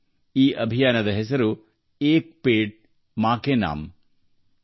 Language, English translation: Kannada, The name of this campaign is – ‘Ek Ped Maa Ke Naam’